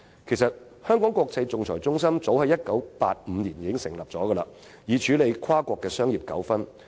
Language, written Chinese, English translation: Cantonese, 香港國際仲裁中心其實早在1985年成立，以處理跨國商業糾紛。, HKIAC was actually set up as early as 1985 to handle cross - national commercial disputes